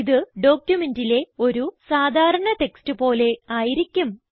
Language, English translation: Malayalam, It is just like any normal text in the document